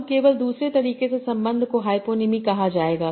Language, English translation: Hindi, Now just the other other way around the relation would be called hyponym